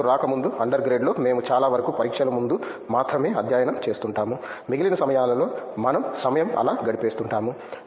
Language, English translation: Telugu, Before coming here, during an under grade it was like morely like we study most of them before exams only; like in rest of the time we just pass the time just like that